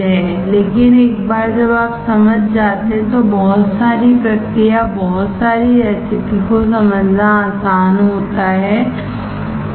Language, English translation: Hindi, But once you understand it is very easy to understand a lot of process flows, lot of recipes, alright